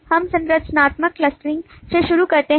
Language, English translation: Hindi, we start with the structural clustering